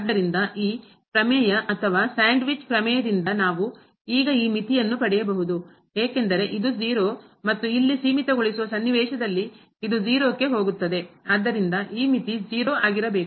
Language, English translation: Kannada, So, by this squeeze theorem or sandwich theorem, we can get now the limit this as because this is 0 and here also in the limiting scenario this is also going to 0 so, this limit has to be 0